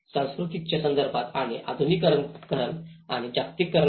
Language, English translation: Marathi, In the context of culture and in the modernization and the globalization